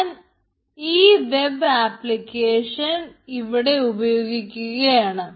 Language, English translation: Malayalam, now i will be creating an web application